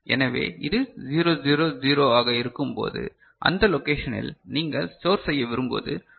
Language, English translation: Tamil, So, when this is 0 0 0 what you want to store in that corresponding location is 1 0 0 1